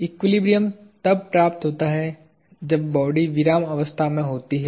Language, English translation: Hindi, Equilibrium is achieved when a body is in a state of rest